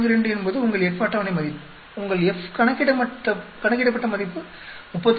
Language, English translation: Tamil, 42 is your F table value, your F calculated value is 36